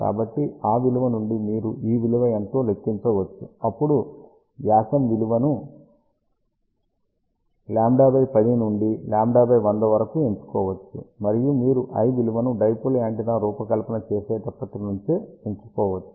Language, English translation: Telugu, So, from that value of lambda, you can calculate what is this value, then choose the value of diameter which can be let say lambda by 10 to lambda by 100, and you can find the value of l that will be your starting point of designing a dipole antenna